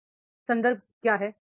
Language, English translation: Hindi, Now what is the context